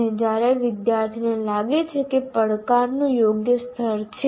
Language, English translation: Gujarati, And then the student feels there is a right level of challenge